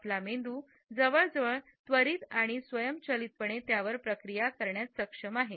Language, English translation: Marathi, Our brain is capable of processing them almost immediately and automatically